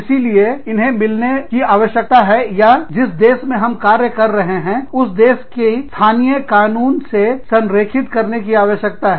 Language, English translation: Hindi, So, and that needs to be merged, or that needs to be aligned, with the local laws of the country, within which, we are operating